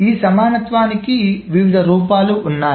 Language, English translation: Telugu, So there are different forms of this equivalence